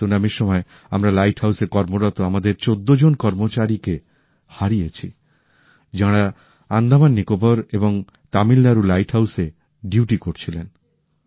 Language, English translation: Bengali, During the tsunami we lost 14 of our employees working at our light house; they were on duty at the light houses in Andaman Nicobar and Tamilnadu